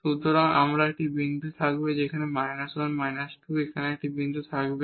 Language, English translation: Bengali, So, there will be a point here and minus 1 minus 2 there will be a point here